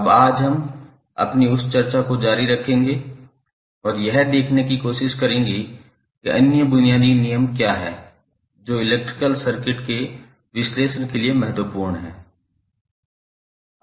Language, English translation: Hindi, Now today we will continue our that discussion and try to see what are other basic laws which are important for the analysis of electrical circuit